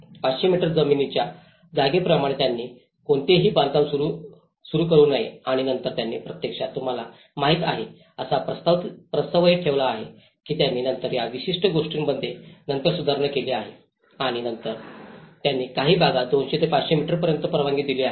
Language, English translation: Marathi, Like as per the 500 meters of the landward site they should not construct anything and later also they have actually proposed that you know, you have to they have amended this particular thing later on and then they allowed to some areas 200 to 500 meters you can still permit some constructions